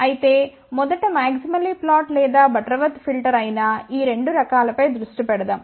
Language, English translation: Telugu, But first let us focus on these 2 types which is a maximally flat a Butterworth filter